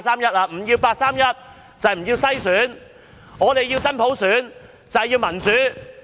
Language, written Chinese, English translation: Cantonese, 不要八三一框架就是不要篩選，我們要求真普選，要求民主。, Refusal to accept the framework under the 31 August Decision means a refusal to screening . We want genuine universal suffrage . We want democracy